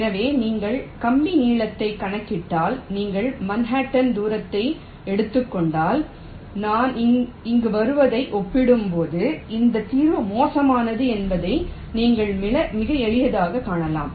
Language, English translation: Tamil, so if you compute the wire length, if you take the manhattan distance, then you can see very easily that this solution is worse as compared to what i get here